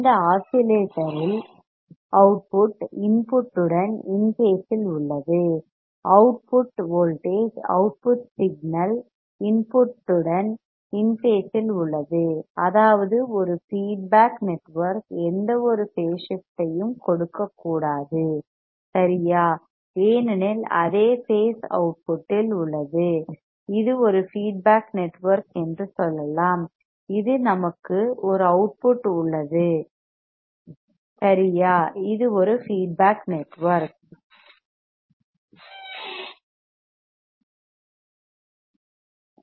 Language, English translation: Tamil, In this oscillator there the output is in phase with the input; the output voltage output signal is in phase with the input; that means, there is a feedback network should not give any kind of a phase shift right because same phase is at output, we have to feedback let us say this is a feedback network we have a output right this is a feedback network